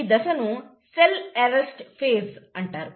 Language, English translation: Telugu, This is also called as the phase of cell arrest